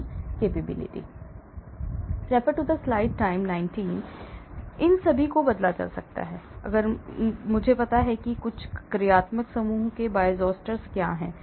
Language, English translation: Hindi, So, all these could be changed if I know, what are the Bioisosteres of certain functional groups